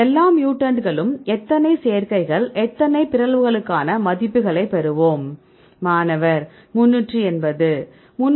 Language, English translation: Tamil, Then we will be we get the values for all the mutants how many combinations how many mutations; 380